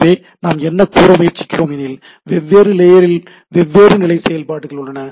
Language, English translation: Tamil, So, what we try to say that this different layer of the things has different level of functionalities right